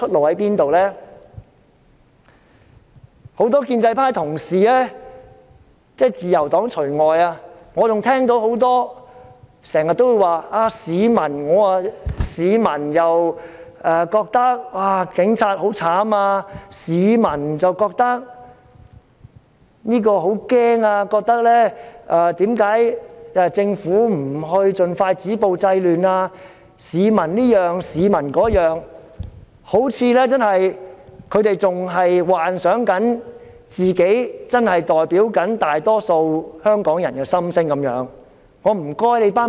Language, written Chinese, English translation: Cantonese, 我聽到建制派的同事說了很多說話，例如市民覺得警察很可憐、市民覺得很害怕、市民覺得政府應盡快止暴制亂......他們好像仍在幻想自己真的代表大多數香港人的心聲般。, I heard a lot of voices from the colleagues of the pro - establishment camp saying that the public feel that the Police are very miserable the public are very scared the public feel that the Government should stop violence and curb disorder as soon as possible they seem to be still dwelling in the dream of really representing the majority of Hong Kong citizens